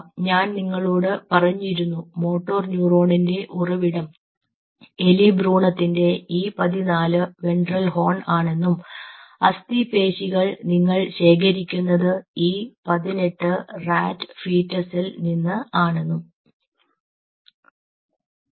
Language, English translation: Malayalam, and i told you the source of motor neuron, which is from the e fourteen ventral horn of the rat embryo and skeletal muscle you are collecting from e eighteen rat fetus